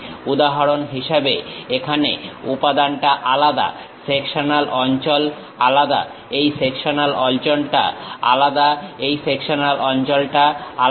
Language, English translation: Bengali, For example, here the material element is different, the sectional area is different; the sectional area is different, the sectional area is different